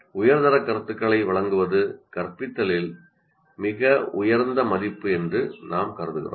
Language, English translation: Tamil, And that is where we consider providing high quality feedback is the highest priority in instruction